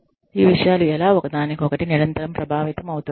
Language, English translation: Telugu, How these things are, constantly influenced by each other